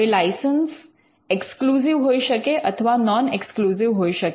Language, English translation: Gujarati, Now, licenses can be exclusive licenses; they can also be non exclusive licenses